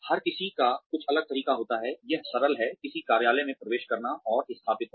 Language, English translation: Hindi, Everybody has a different way of something, as simple as, entering an office and settling down